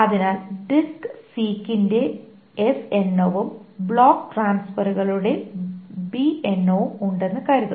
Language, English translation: Malayalam, So suppose there are S number of disk 6 and there are B number of block transfer